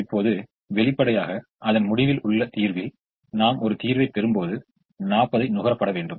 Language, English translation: Tamil, now, obviously, in the solution, at the end of it, when we get a solution, all the forty has to be consumed